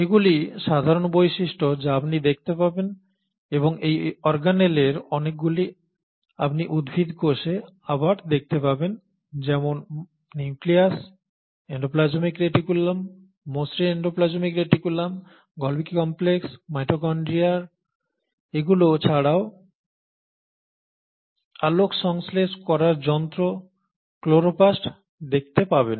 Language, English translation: Bengali, Now these are the common features which you will see and lot of these organelles you will see them again in a plant cell like the nucleus, the endoplasmic reticulum, the smooth endoplasmic reticulum, the Golgi complex, the mitochondria, in addition to that since the photosynthetic machinery you will find the chloroplast